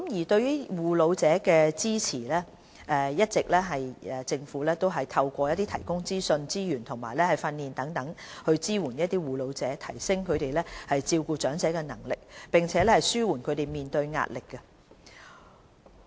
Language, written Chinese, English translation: Cantonese, 對於護老者支援，政府一直以來透過提供資訊、資源及訓練等方式支援護老者，提升他們照顧長者的能力，並紓緩他們面對的壓力。, In respect of the support for carers of elderly persons the Government has all along been enhancing carers capability to take care of the elderly and relieving the carers stress through the provision of information resources and training